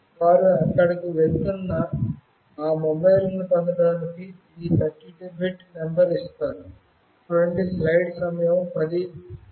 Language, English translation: Telugu, They give this 32 bit number to get to those mobiles that are moving there